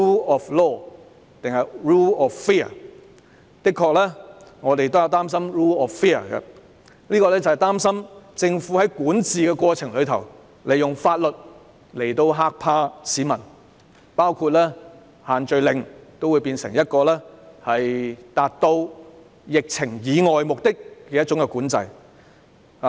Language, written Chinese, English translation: Cantonese, 我們的確擔心 rule of fear， 擔心政府在管治過程中，利用法律嚇怕市民，包括把限聚令變成一種管制，以達致控制疫情以外的目的。, We are indeed apprehensive about the rule of fear worried that during its governance the Government will exploit the law to intimidate the public including turning the social gathering restrictions into a kind of control to achieve purposes other than containing the epidemic